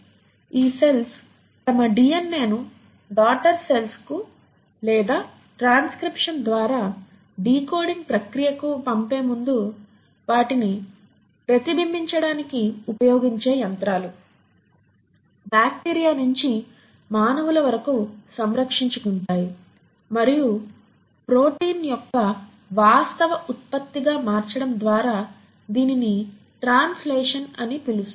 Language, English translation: Telugu, Even the machinery which is used by these cells to replicate their DNA before they can pass it on to the daughter cells or the decoding process by transcription and its conversion into the actual product of protein which is what you call as translation is fairly conserved right from bacteria to humans